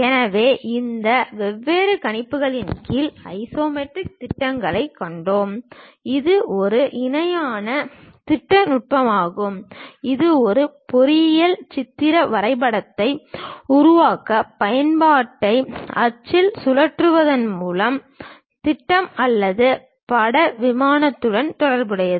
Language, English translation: Tamil, So, under these different projections, we have seen axonometric projection; it is a parallel projection technique used to create pictorial drawing of an object by rotating the object on axis, relative to the projection or picture plane